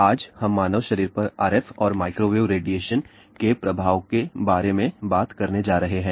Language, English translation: Hindi, Today, we are going to talk about effect of RF and microwave radiation on human body